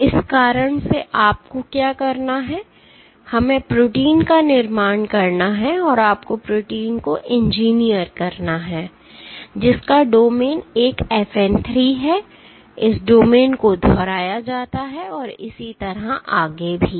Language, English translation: Hindi, So, for this reason what you have to do is we have to construct protein, you have to engineer proteins, which have let us say domain one FN 3, this domain is repeated and so on and so forth